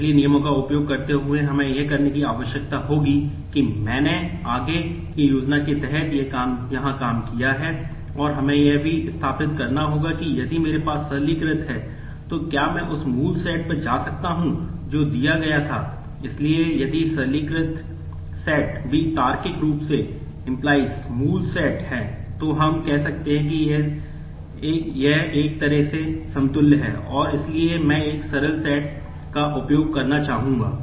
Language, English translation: Hindi, So, using the rules we will need to do that I have worked that out here under the forward scheme and we would also need to establish that if I have the simplified set, then can I go to the original set that was given